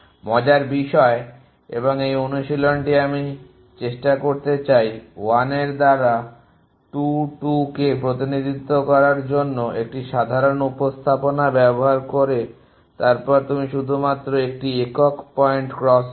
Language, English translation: Bengali, The interesting thing and this is the exercise it I want to try would is at 1 to represent 2 2 us using an ordinary representation then you just to a single point crossover